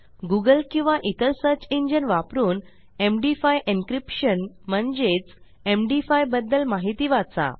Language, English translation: Marathi, And if you read up on Google or any search engine about MD5 encryption thats M D 5